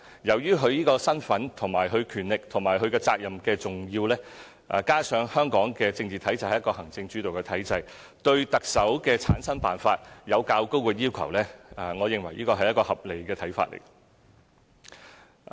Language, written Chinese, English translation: Cantonese, 由於行政長官的身份、權力和責任的重要性，加上香港的政治體制是行政主導的體制，對特首的產生辦法有較高的要求，我認為這是一個合理的要求。, Considering the importance of the identity power and responsibilities of the Chief Executive and that the political system of Hong Kong is an executive - led system it is reasonable that the method for selecting the Chief Executive should comply with more stringent requirements